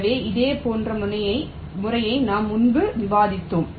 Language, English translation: Tamil, so similar method we have discussed earlier also